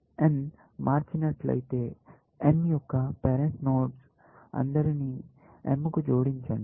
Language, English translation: Telugu, If n has changed, then add all parents of n to m